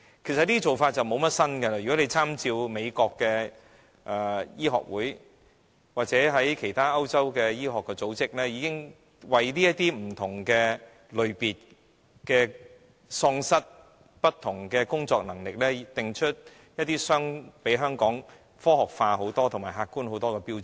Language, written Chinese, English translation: Cantonese, 這些評估方法其實不是新事物，當局大可參照美國的醫學會或歐洲的其他醫學組織，看看如何為不同類別喪失工作能力的人定出遠較香港科學化和客觀的標準。, Scientific assessment methods are not any new things . The authorities can make reference to the American Medical Association or other medical organizations in Europe so as to see how they have set out criteria that are far more scientific and objective than those in Hong Kong in assessing people with different types of incapacity